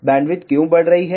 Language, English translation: Hindi, Why bandwidth is increasing